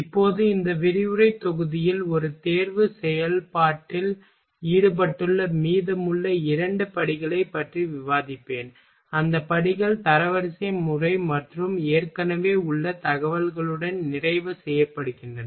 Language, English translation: Tamil, Now in this lecture module I will discuss remaining two steps that is involved in a selection process and those steps are ranking method and completion with existing information